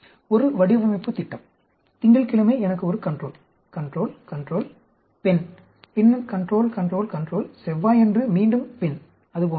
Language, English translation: Tamil, One design plan, Monday I will have a control, control, control female and then control, control, control, again female on Tuesday, like that